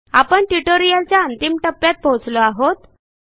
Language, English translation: Marathi, With this we come to an end of this tutorial